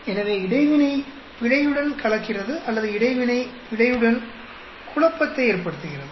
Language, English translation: Tamil, So, interaction gets mixed up with the error or interaction gets confounded with the error